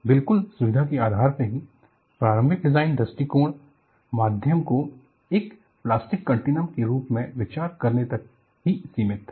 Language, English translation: Hindi, Purely out of convenience, the initial design approaches were confined to considering the medium as elastic continuum